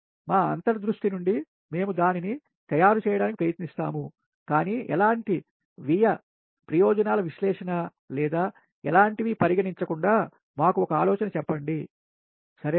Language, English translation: Telugu, so from our intuition we will try to make it, but any, not considering any cost benefit analysis or anything, just just through